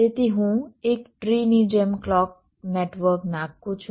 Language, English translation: Gujarati, so i am laying out the clock network like a tree